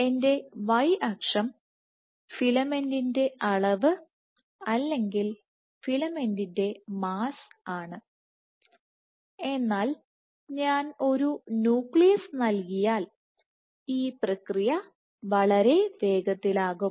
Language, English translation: Malayalam, So, my y axis is the mass of filament or filament content, but if I provide a nucleus then this process is much hastened